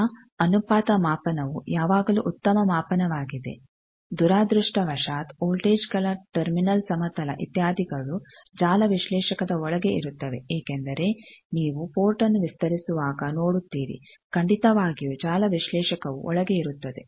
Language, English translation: Kannada, Now, the ratio measurement always is a better measurement unfortunately the terminal plains of voltages etcetera they are inside network analyzer because you see when you are extending a port definitely network analyzer is sitting inside